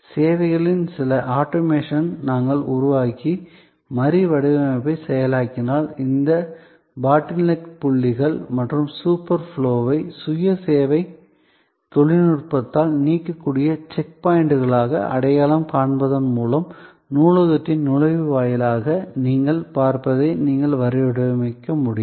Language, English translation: Tamil, So, if we create some automation of services and process redesign, by identifying these bottleneck points and super flow as check points which can be eliminated by self service technology, you could redesign what you see in front of you, the entry lobby of the library